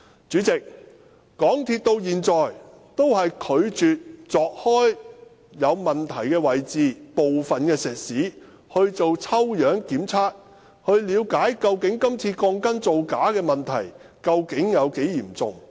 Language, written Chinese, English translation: Cantonese, 主席，港鐵公司至今也拒絕鑿開有問題的位置，把部分石屎作抽樣檢測，以了解今次鋼筋造假問題究竟有多嚴重。, President to date MTRCL is unwilling to dig open the problematic parts and take random sampling on the concrete to see the extent of the shoddy steel bars